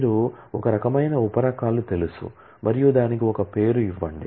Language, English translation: Telugu, you know sub types of a type as and give it a name